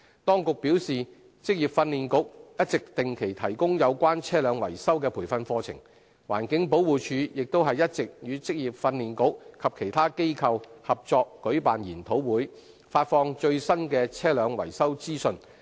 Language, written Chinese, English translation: Cantonese, 當局表示，職業訓練局一直定期提供有關車輛維修的培訓課程，環境保護署亦一直與職業訓練局及其他機構合作舉辦研討會，發放最新的車輛維修資訊。, The Administration has advised that the Vocational Training Council VTC has been offering regular training courses on vehicle maintenance and the Environmental Protection Department EPD has also been organizing seminars in collaboration with VTC and other bodies to disseminate the latest vehicle maintenance information